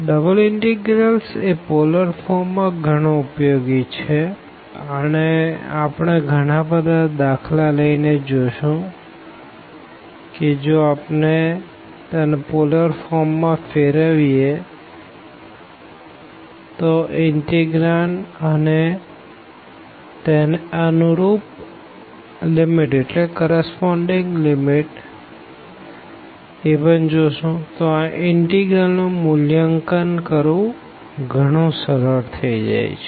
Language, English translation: Gujarati, So, the double integrals in polar forms are very useful, and we will see with the help of many examples that if we convert in to the polar forms the integrand, and also the corresponding limits, then this integral becomes much easier to evaluate